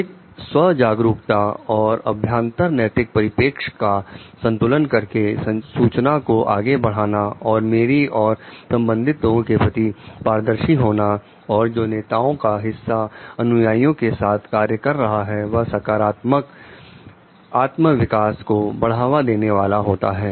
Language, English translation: Hindi, To foster greater self awareness and internalized moral perspective balance processing of information and my and relational transparency and the part of leaders working with followers fostering positive self development